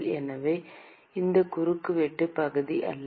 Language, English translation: Tamil, So, it is not the cross sectional area